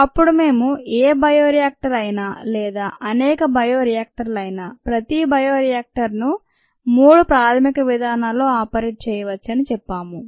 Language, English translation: Telugu, then we said that any bioreactor, or many bioreactors, where each bioreactor can be operated in three basic modes ah